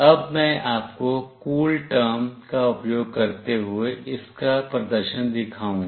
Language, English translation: Hindi, Now I will be showing you the demonstration of this using CoolTerm